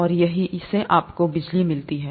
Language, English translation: Hindi, And that's how you get electricity